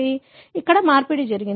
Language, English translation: Telugu, So, exchange took place